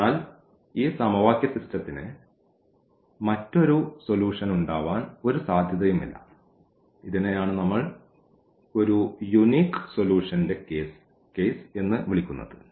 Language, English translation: Malayalam, So, there is no other possibility to have a solution for this given system of equations and this is what we call the case of a unique solution